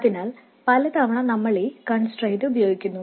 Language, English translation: Malayalam, So many times you use this constraint as well